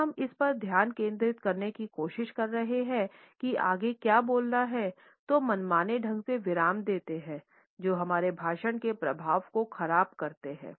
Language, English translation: Hindi, When we are trying to focus on what next to speak are the arbitrary pauses which is spoil the impact of our speech